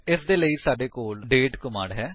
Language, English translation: Punjabi, For this we have the date command